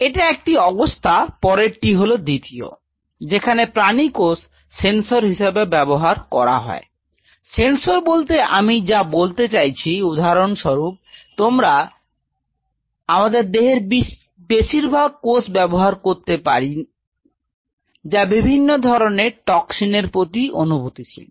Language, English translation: Bengali, This is one situation the next is two; using animal cells as sensors what do I mean by sensors say for example, you can use most of our cells are very sensitive to different kind of toxins